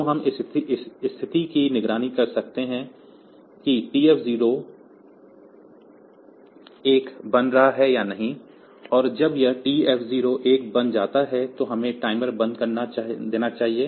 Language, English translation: Hindi, So, we can monitor this situation whether this TF 0 is becoming 1 or not, and when this TF 0 becomes 1